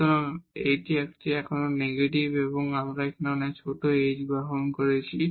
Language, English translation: Bengali, So, this is a still negative we have taken a much smaller h now